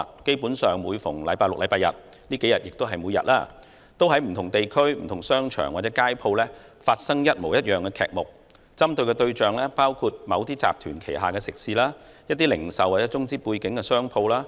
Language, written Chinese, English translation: Cantonese, 基本上每逢周六、周日，而近數天更是每天，都在不同地區、商場或街鋪，發生一模一樣的劇目，針對的對象包括某些集團旗下的食肆、一些零售或中資背景的商鋪。, Basically every Saturday and Sunday and every day for the past few days the same episode is played out in various districts shopping malls or shops on the streets . The targets include restaurants under certain groups or some retail outlets or shops financed by China capital